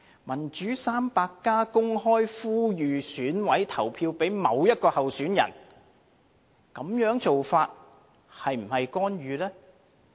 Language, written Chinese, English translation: Cantonese, "民主 300+" 公開呼籲選委投票給某一位候選人，這種做法是否干預呢？, By publicly canvassing votes for one candidate has the Democrats 300 interfered in the election?